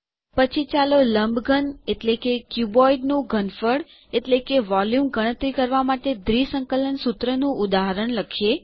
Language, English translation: Gujarati, Next let us write an example double integral formula to calculate the volume of a cuboid